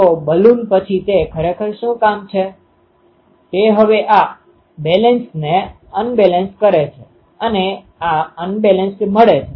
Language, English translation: Gujarati, So, Balun then what it actually is job is now to make this um balanced to unbalanced this unbalanced comes